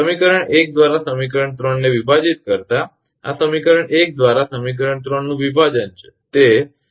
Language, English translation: Gujarati, Dividing equation 3 by equation 1 this is equation 3 divide by equation 1